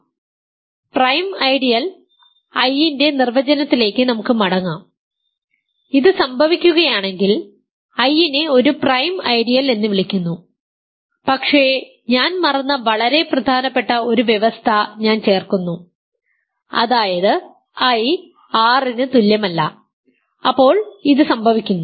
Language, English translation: Malayalam, So, let us go back to the definition of a prime ideal I is called a prime ideal if this happens, but I should add a very important condition that I forgot which is that I is not equal to R and this happens